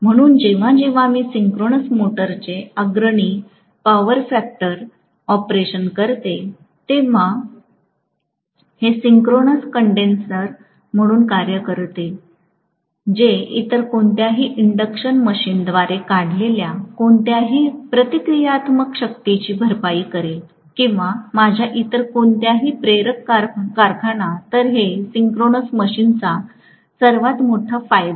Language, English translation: Marathi, So, whenever I am going to have a leading power factor operation of the synchronous motor it may work as a synchronous condenser, which will compensate for any reactive power drawn by any of the other induction machines and so on, or any other inductor in my factory